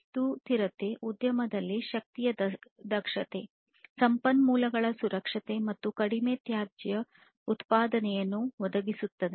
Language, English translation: Kannada, So, a sustainable industry basically provides energy efficiency, conservation of resources, and low waste production